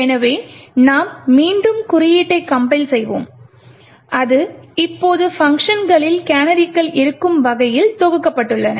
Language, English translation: Tamil, So, we would compile the code again, notice that it is compiled now such that, canaries would be present in the functions